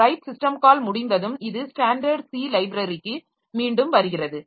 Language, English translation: Tamil, After the right system call is over, so it comes back to the standard C library and from there it goes back there